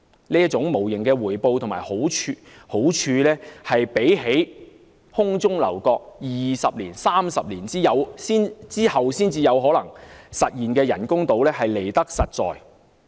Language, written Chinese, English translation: Cantonese, 這種無形的回報和好處，比起空中樓閣、要在20年或30年後才可能實現的人工島來得實在。, Such intangible returns and benefits are indeed more down to earth than the castles - in - the - air artificial islands which could become real some 20 or 30 years later